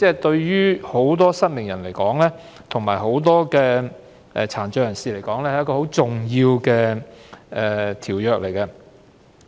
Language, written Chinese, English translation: Cantonese, 對於眾多失明及殘障人士而言，《馬拉喀什條約》是一項很重要的條約。, To many blind and visually impaired persons the Marrakesh Treaty is a significant convention